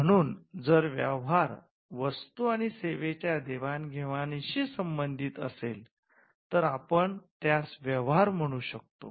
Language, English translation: Marathi, So, if the value pertains to the exchange of goods and service then, we call that a business transaction